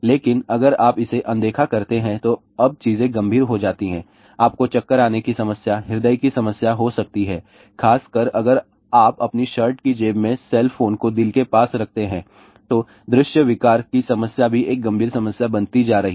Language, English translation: Hindi, But if you ignore that, now things become serious you may have a dizziness problem heart problem especially if you keep the cell phone in your shirt pocket near the heart , visual disorder problem is also becoming a various serious issue